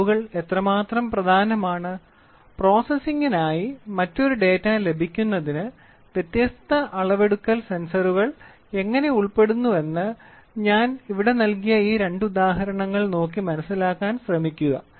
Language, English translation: Malayalam, Please try to look at these two examples what I have given here how measurements are important, how different different measurement sensors are involved to get a different data for processing